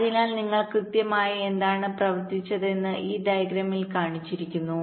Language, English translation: Malayalam, so this is shown in this diagram, exactly what you have worked out